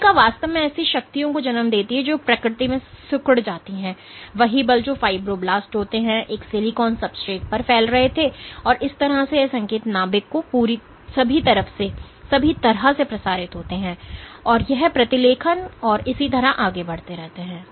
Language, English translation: Hindi, Cell actually exert forces which are contractile in nature, the same forces which are fibroblast was exerting on a silicon substrate, and this is how this signals get transmitted all the way to the nucleus and that dictates transcription and so on and so forth